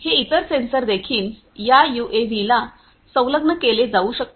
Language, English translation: Marathi, All these different gas sensors could be fitted to this UAV